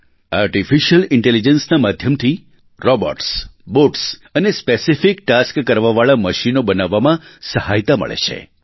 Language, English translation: Gujarati, Artificial Intelligence aids in making robots, Bots and other machines meant for specific tasks